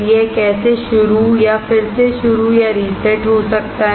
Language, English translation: Hindi, How it can start or restart or reset